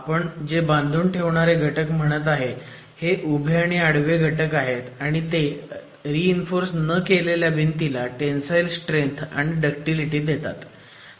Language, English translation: Marathi, The confining elements that we talked about, these are horizontal and vertical ties, they provide tensile strength and ductility to the masonry wall panels which are unreinforced masonry wall panels